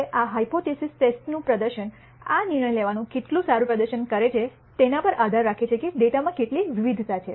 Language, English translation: Gujarati, Now, therefore, the performance of the hypothesis test, how well this decision making perform, depends on how much variability is there in the data